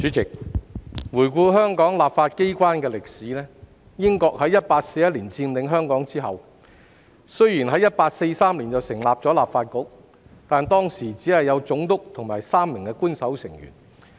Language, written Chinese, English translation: Cantonese, 主席，回顧香港立法機關的歷史，英國在1841年佔領香港後，雖然在1843年成立立法局，但當時只有總督和3名官守成員。, President let us revisit the history of the legislature of Hong Kong . After the British occupation of Hong Kong in 1841 the Legislative Council was established in 1843 with the composition of only the Governor and three Official Members